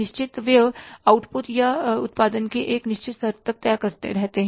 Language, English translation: Hindi, Fixed expenses remain fixed up to a certain level of output or the production